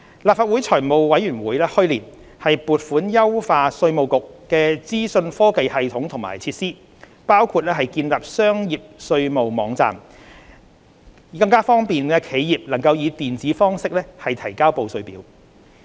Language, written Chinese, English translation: Cantonese, 立法會財務委員會去年撥款優化稅務局的資訊科技系統和設施，包括建立商業稅務網站，以便企業以電子方式提交報稅表。, The Finance Committee of the Legislative Council approved a commitment last year for the enhancement of information technology systems and facilities of IRD . Among others a Business Tax Portal will be developed to facilitate electronic submission of tax returns e - filing by businesses